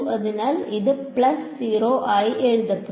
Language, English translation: Malayalam, So, this will be written as plus 0